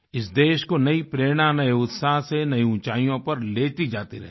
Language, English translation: Hindi, This new inspiration & zest will keep taking her to greater heights